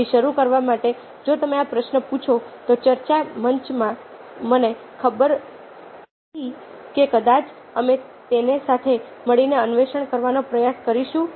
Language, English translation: Gujarati, so, to begin with, if you ask this question i don't really know in the discussion forum probably we will try to explore it together